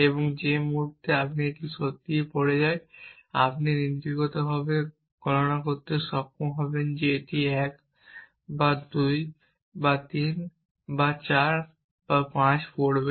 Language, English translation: Bengali, And the moment when it really falls you should be able to compute in principle whether it will fall with 1 or 2 or 3 or 4 or 5